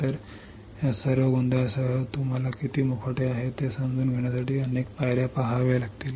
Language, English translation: Marathi, So, with all this confusion you have to see so many steps to understand how many masks are there